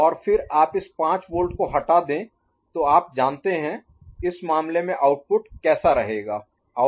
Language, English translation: Hindi, And then you remove that you know, 5 volt; how would have been the output in this case